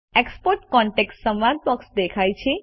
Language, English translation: Gujarati, The Export contacts dialog box appears